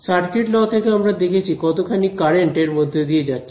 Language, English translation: Bengali, Circuital law it was a current going I calculate how much current is threading through this